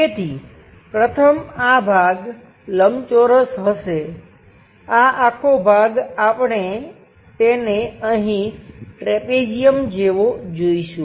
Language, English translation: Gujarati, So, the first one will be rectangle this part, this entire part we will see it here like a trapezium